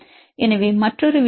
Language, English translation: Tamil, So, another case is glycine 229, this is here